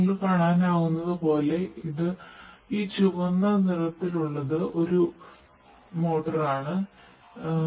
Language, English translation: Malayalam, So, as you can see this red colored one is a motor